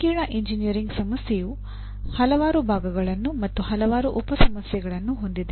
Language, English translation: Kannada, And also a complex engineering problem has several component parts and several sub problems